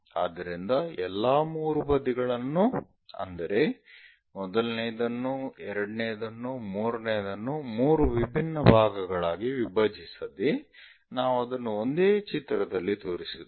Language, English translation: Kannada, So, all the 3 sides like first one, second one, third one, without splitting into 3 different things we show it on one picture